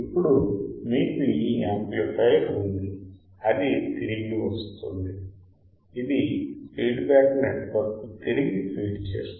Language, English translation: Telugu, Now, you have this amplifier it goes it comes back it feeds the feedback network comes back right